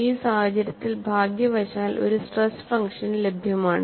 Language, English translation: Malayalam, And for this case, fortunately, there was a stress function available